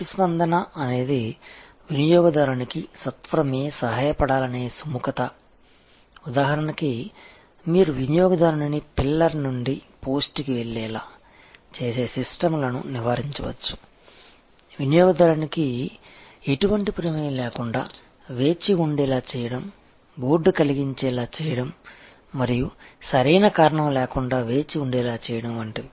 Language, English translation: Telugu, The next item is responsiveness and responsiveness is the willingness to help the customer promptly, it example is that you avoid systems that make the customer go from pillar to post; that make the customer wait without any involvement and get board and wait for no operand reason